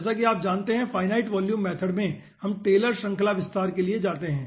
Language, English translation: Hindi, as you know that in volume fluid method sorry, this finite volume method we go for taylor series expansion